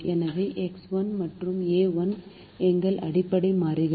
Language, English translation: Tamil, so x one and a one are our basic variables